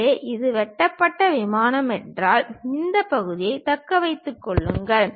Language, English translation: Tamil, So, if this is the cut plane thing, retain this part